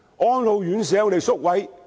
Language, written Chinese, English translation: Cantonese, 安老院舍有很多宿位嗎？, Are there many residential care places for the elderly?